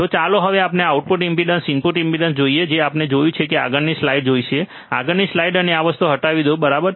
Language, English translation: Gujarati, So now let us see the output impedance, input impedance we have seen now let us see the next slide, next slide let me just remove these things ok